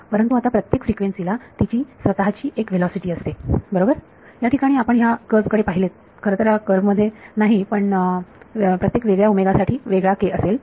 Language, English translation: Marathi, But, now each frequency has its own velocity right; if you look at this curve over here well not in this curve, but for different every different omega will have a different k